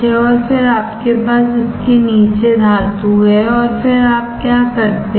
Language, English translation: Hindi, And then you have metal below it and then what you do